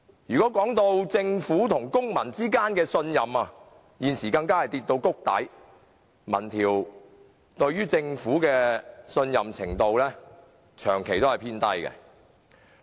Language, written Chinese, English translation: Cantonese, 至於政府與公民之間的信任，現時更跌至谷底，民調顯示市民對政府的信任程度長期偏低。, The trust between the Government and citizens on the other hand is at its lowest . Various opinion polls show that public trust in the Government has been on the low side